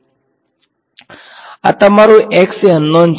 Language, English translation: Gujarati, So, this is your thing x is unknown